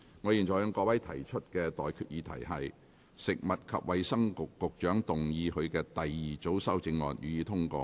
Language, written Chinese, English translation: Cantonese, 我現在向各位提出的待決議題是：食物及衞生局局長動議他的第二組修正案，予以通過。, I now put the question to you and that is That the second group of amendments moved by the Secretary for Food and Health be passed